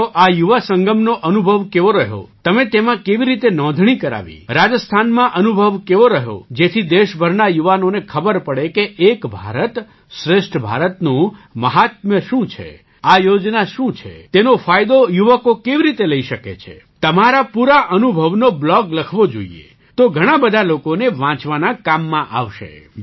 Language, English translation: Gujarati, Then you should write a blogon your experiences in the Yuva Sangam, how you enrolled in it, how your experience in Rajasthan has been, so that the youth of the country know the signigficance and greatness of Ek Bharat Shreshtha Bharat, what this schemeis all about… how youths can take advantage of it, you should write a blog full of your experiences… then it will be useful for many people to read